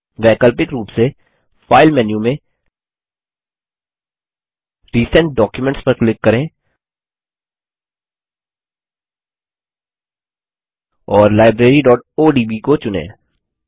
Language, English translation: Hindi, Alternately, click on Recent Documents in the File menu, and choose Library.odb